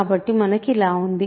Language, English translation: Telugu, So, we have this